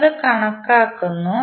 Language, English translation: Malayalam, We just calculate it